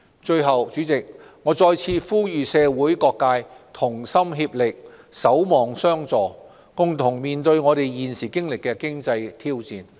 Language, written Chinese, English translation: Cantonese, 最後，主席，我再次呼籲社會各界同心協力，守望相助，共同面對現時的經濟挑戰。, Finally Chairman I once again appeal to all sectors of the community to stick together and help one another to overcome the present economic challenges